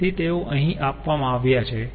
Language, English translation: Gujarati, so they are given here